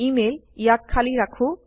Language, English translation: Assamese, Email– Lets leave it blank